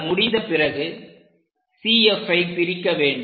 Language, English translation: Tamil, Once it is done, divide CF